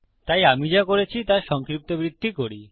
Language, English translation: Bengali, So, let me recap what Ive done